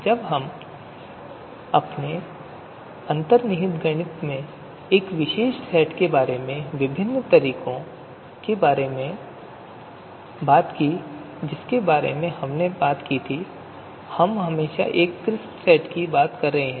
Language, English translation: Hindi, Whenever we talked about a particular set in our you know underlying mathematics in different techniques that we talked about, we were always referring to crisp set